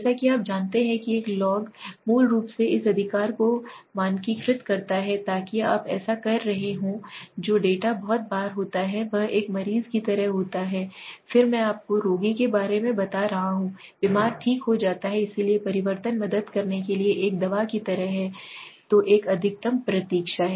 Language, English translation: Hindi, By saying this as you know a log basically standardize this right so if you are doing this so many are times the data which is in a very it is like a patient again I am telling you about patient which is ill becomes correct so the transformation helps is be as like a medicine to it okay, so a waiting is most